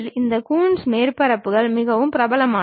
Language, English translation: Tamil, These Coons surfaces are quite popular